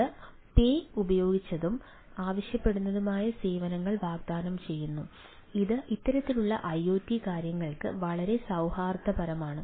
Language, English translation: Malayalam, it offers pay as used and on demand services, which is pretty amicable for this type of iot things